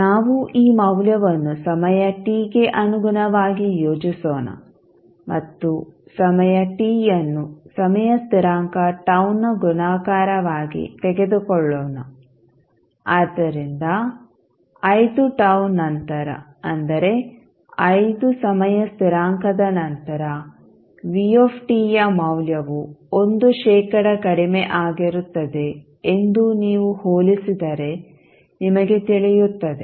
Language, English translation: Kannada, We will plot this value with respect to time t and let us take time t as a multiple of tau, that is the time constant so, if you compare you will come to know that after 5 tau, that means after 5 times constants the value of voltage Vt is less that 1 percent